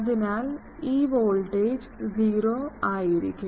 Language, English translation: Malayalam, So, I can make that the voltage, this voltage will be 0